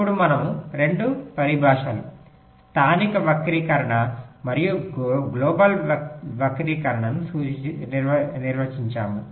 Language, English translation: Telugu, now we define two terminologies: local skew and global skew